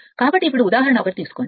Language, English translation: Telugu, So, now take the example one